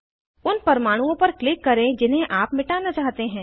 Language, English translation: Hindi, Click on the atoms you want to delete